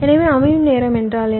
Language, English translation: Tamil, setup time is what